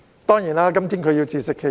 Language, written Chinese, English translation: Cantonese, 當然，她今天要自食其果。, Of course she already reaped what she had sown